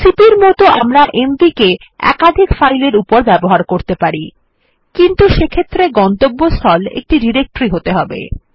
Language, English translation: Bengali, Like cp we can use mv with multiple files but in that case the destination should be a directory